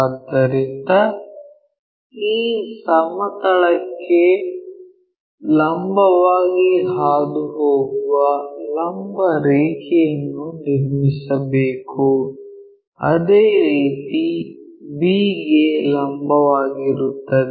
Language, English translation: Kannada, So, along that we have to draw a vertical line which is passing perpendicular to this plane, similarly perpendicular to that b